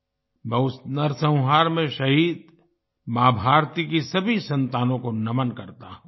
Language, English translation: Hindi, I salute all the children of Ma Bharati who were martyred in that massacre